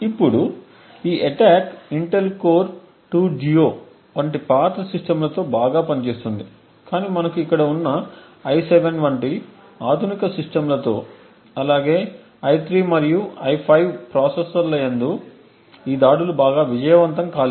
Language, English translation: Telugu, Now this attack works very well with the older systems like the Intel Core 2 Duo and so on but with modern systems like the i7 like we are going to have here as well as the i3 and i5 processors the attacks are not very successful